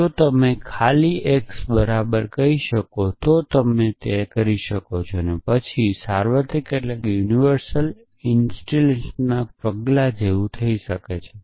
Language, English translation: Gujarati, If you can simply say x equal to you can do it and then this will become like the step of universal instantiation